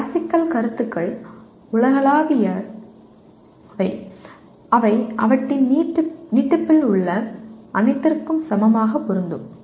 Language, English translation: Tamil, Classical concepts are universal in that they apply equally to everything in their extension